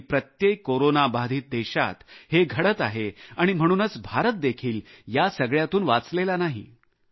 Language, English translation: Marathi, This is the situation of every Corona affected country in the world India is no exception